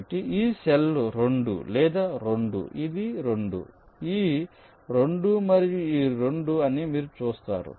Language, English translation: Telugu, so you see, this cell will be two, this is two, this is two, this two and this two